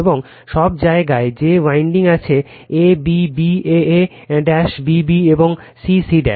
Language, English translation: Bengali, And everywhere that windings are there that a a b b a a dash b b dash and c c dash